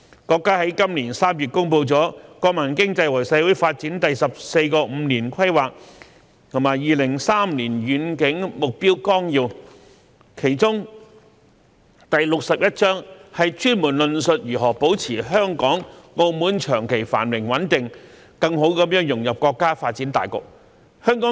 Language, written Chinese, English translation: Cantonese, 國家在今年3月公布了《國民經濟和社會發展第十四個五年規劃和2035年遠景目標綱要》，其中第六十一章專門論述如何保持香港、澳門長期繁榮穩定，更好融入國家發展大局。, In March this year the country published the 14th Five - Year Plan in which Chapter 61 specifically stated how to maintain the long - term prosperity and stability of Hong Kong and Macao as well as better integrate into the overall development of the country